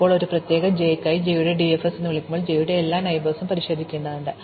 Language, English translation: Malayalam, Now when we call DFS of j for a particular j, we need to examine all the neighbours of j